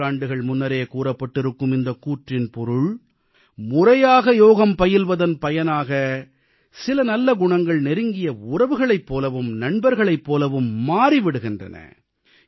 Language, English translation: Tamil, Thisobservation expressed centuries ago, straightaway implies that practicing yogic exercises on a regular basis leads to imbibing benefic attributes which stand by our side like relatives and friends